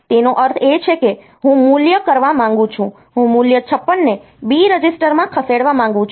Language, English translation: Gujarati, So, that means, I want to value want to move the value 56 into the B register